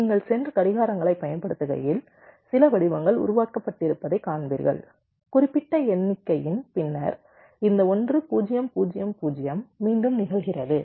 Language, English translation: Tamil, you see, as you go and applying clocks, you will see some patterns have been generated and after certain number, this one, zero, zero, zero is repeating